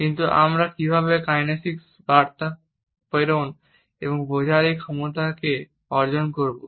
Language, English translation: Bengali, But, how do we acquire this capability to transmit and understand kinesic messages